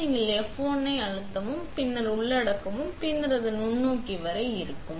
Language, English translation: Tamil, Also, to bring this up you press F1 and then enter and it will bring the microscope up